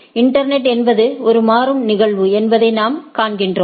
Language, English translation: Tamil, The, what we see that the internet is a dynamic phenomenon